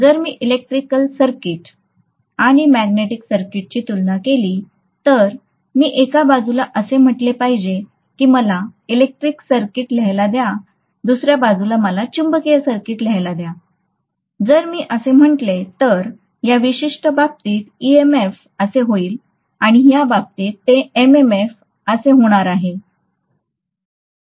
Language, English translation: Marathi, So if I compare an electric circuit and magnetic circuit, I should say on the one side let me write electric circuit, on the other side, let me write magnetic circuit, so if I say that in this particular case, this is going to be EMF, in this particular case, it is going to be MMF